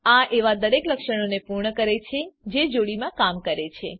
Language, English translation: Gujarati, It also completes every feature that works in pairs